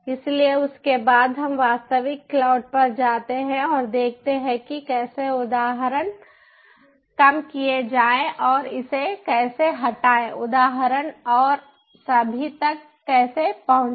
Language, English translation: Hindi, so after that, lets go to the ah actual cloud and see some working about how to lower the instance and how to delete it, how to access the instance and all